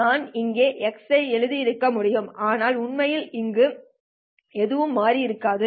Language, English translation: Tamil, I could have written x here and nothing would have actually changed over here